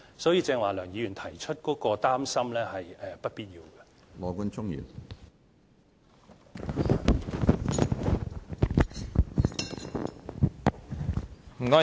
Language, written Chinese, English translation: Cantonese, 所以，梁議員剛才提出的擔心，是不必要的。, The worries raised by Mr LEUNG earlier are thus unwarranted